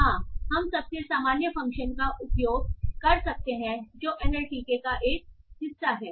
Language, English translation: Hindi, Yes, we can using the most common function that is a part of the nmdk